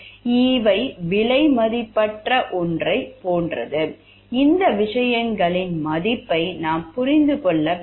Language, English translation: Tamil, These are like something which is priceless and we have to understand the value of these things work of these things